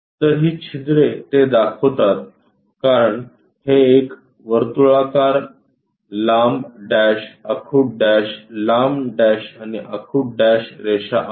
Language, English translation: Marathi, So, those holes represents this because this is a circular one long dash, short dash, long dash and short dash kind of representation